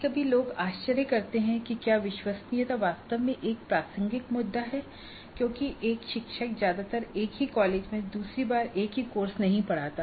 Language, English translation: Hindi, Now sometimes people do wonder whether reliability is really a relevant issue because a teacher may not teach the same course second time in the same college